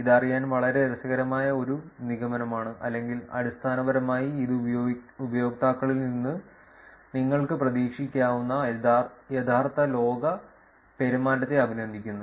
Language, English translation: Malayalam, That is a very interesting conclusion to know or basically it is complimenting the real world behavior that you could expect from the users